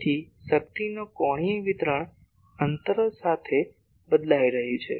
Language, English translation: Gujarati, So, angular distribution of power is changing with distance